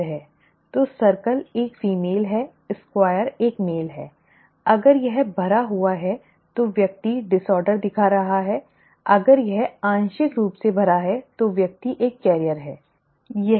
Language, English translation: Hindi, So circle is a female, square is a male, if it is filled than the person is showing the disorder, if it is partly filled then the person is a carrier, okay